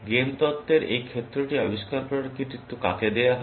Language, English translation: Bengali, Who is credited with inventing this field of game theory